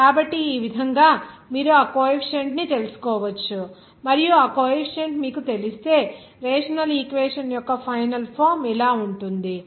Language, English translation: Telugu, So this way, you can find out that Coefficient, and if you know that coefficient, there will be a final form of the rational equation